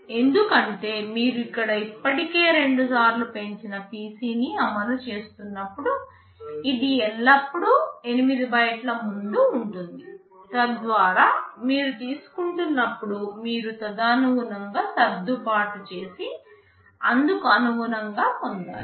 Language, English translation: Telugu, Because when you are executing here already incremented PC two times it is always 8 bytes ahead, so that when you are fetching you should accordingly adjust and fetch accordingly